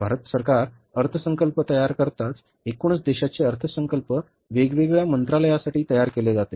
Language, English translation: Marathi, As the government of India prepares the budgets, the budget of the country as a whole is prepared for the different ministries